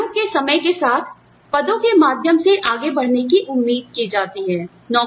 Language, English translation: Hindi, Employees are expected to move up, through the ranks, over time